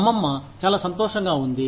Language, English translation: Telugu, Grandmother is very happy